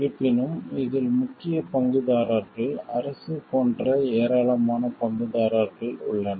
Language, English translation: Tamil, However, in this the main stakeholders involved, there are lot of stakeholders like government